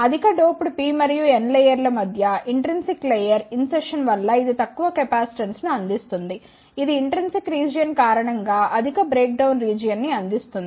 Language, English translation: Telugu, It provides lower capacitance due to the insertion of the intrinsic layer between the highly doped P and N layer, it provides high breakdown region due to the intrinsic region